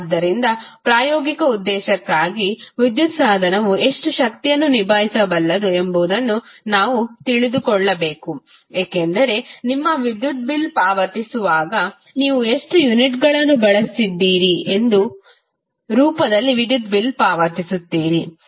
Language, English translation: Kannada, So, what we have to do for practical purpose we need to know how much power an electric device can handle, because when you pay your electricity bill you pay electricity bill in the form of how many units you have consumed